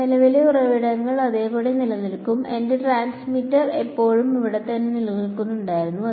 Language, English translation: Malayalam, The current sources will remain the same; I may have kept my transmitter still standing out there right